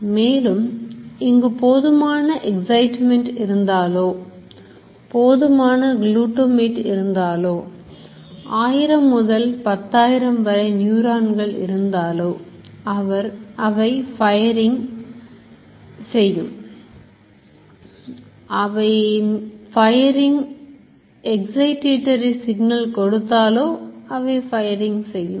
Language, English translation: Tamil, If there are enough excitement, enough glutamate, enough number of, I remember thousand to 10,000 neurons, if most of them are sending a firing excitatory signal it will fire, if there are more inhibitory it will not fire